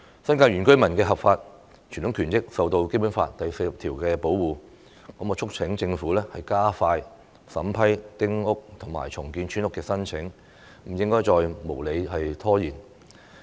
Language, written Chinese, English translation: Cantonese, 新界原居民的合法傳統權益受到《基本法》第四十條保護，我促請政府加快審批丁屋及重建村屋的申請，不應該再無理拖延。, As the lawful traditional rights and interests of the indigenous inhabitants of the New Territories are protected under Article 40 of the Basic Law I urge the Government to expedite the vetting and approval of applications for building small houses and redeveloping village houses . There should be no further unreasonable delays